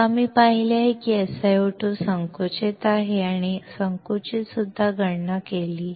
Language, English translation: Marathi, Then, we saw that SiO2 is compressive and also calculated the compressive